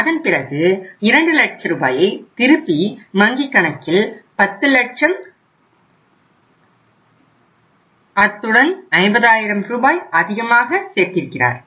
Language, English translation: Tamil, After that he has deposited 2 lakh rupees back in the bank so it means now the again account is 10 lakhs plus 50,000 which is extra he has deposited